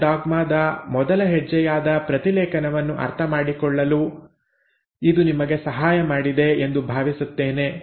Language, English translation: Kannada, Hopefully this has helped you understand the first step in Central dogma which is transcription